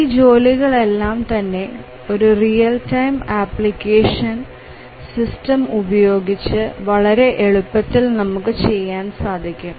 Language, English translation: Malayalam, So, these are easily done using a real time operating system